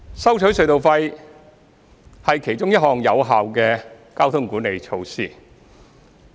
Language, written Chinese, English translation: Cantonese, 收取隧道費是其中一項有效的交通管理措施。, The collection of tunnel tolls is one of the effective traffic management measures